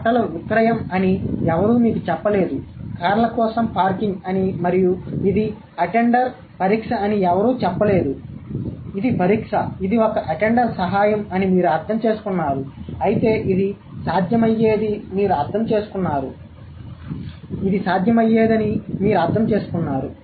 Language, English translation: Telugu, Nobody actually told you that the sale is for clothes, nobody told you the parking is for cars and it is attendant exam, it is the help of an attendant, but you got it, you understood that this could have been the possible meaning